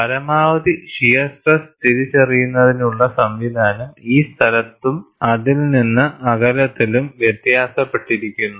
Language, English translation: Malayalam, The mechanisms, of identifying the maximum shear stress differs in this place, as well as, at distance away from it